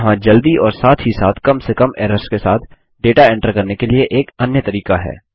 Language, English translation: Hindi, There is another way to enter data swiftly as well as with minimum errors